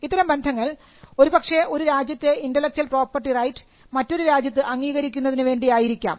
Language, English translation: Malayalam, Now, this could also allow for recognition of intellectual property rights of one country in another country